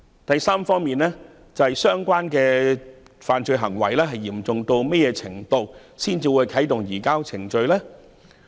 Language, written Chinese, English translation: Cantonese, 第三方面，相關的犯罪行為的嚴重須達何種程度，才會啟動移交逃犯程序？, Thirdly for the procedures to surrender fugitive offenders to be initiated how serious should the relevant criminal acts be?